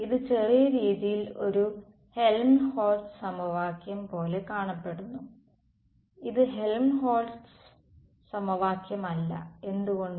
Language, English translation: Malayalam, It looks a little bit like a Helmholtz equation it is not Helmholtz equation why